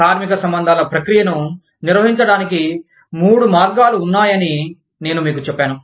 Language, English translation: Telugu, I told you, that there are three ways in which, the labor relations process, can be managed